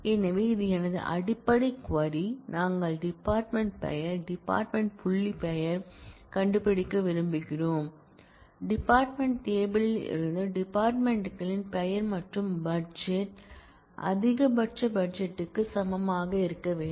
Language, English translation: Tamil, So, this is my basic query, we want to find department name, department dot name, that is; a departments name from the department table and the budget must be same as maximum budget